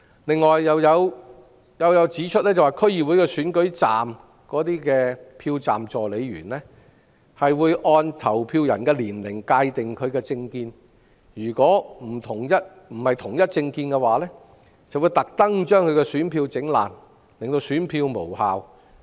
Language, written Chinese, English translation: Cantonese, 此外，有謠傳又指出，區議會選舉站的票站助理員，將按投票人的年齡界定其政見，如非屬同一政見，他們會故意將有關選票損毀，令選票無效。, Rumour also has it that the Polling Assistants will classify the political views of voters according to their age . For voters do not have the same political views their ballot papers will be intentionally destroyed to become invalid